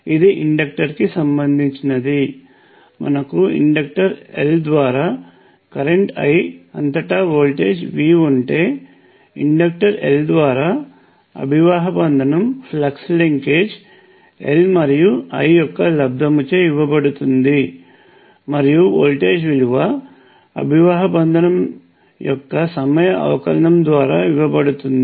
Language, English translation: Telugu, This is related to the inductor we know that if you have a voltage V across an inductor L and current I through the inductor L the flux linkage is given by L times I, and the voltage is given by the time derivative of the flux linkage which is L times and the time derivative of the current